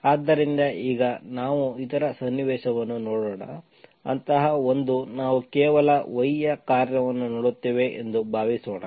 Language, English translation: Kannada, So now let us see other situation where such a mu, we, suppose we look for mu as a function of y alone